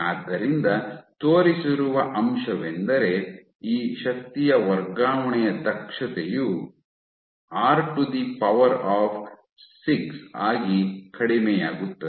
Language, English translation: Kannada, So, what has been shown that the efficiency of this transfer of energy you can have this decrease as r to the 6 power